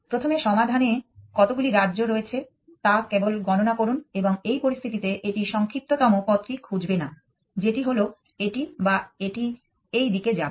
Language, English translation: Bengali, Simply counting how many states are there in the solution first and this situation it will not find the shortest path, which is this one or it will go in this direction